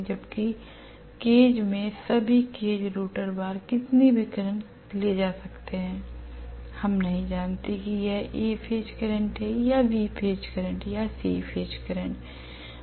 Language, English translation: Hindi, Whereas in cage, all the cage rotor bars will carry any current we do not know whether it is A phase current, whether it is B phase current, whether it is C phase current